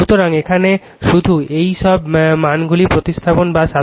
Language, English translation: Bengali, So, here your you just substitute or substitute your all these values